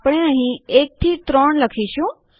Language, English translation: Gujarati, For eg we will type 1 3 here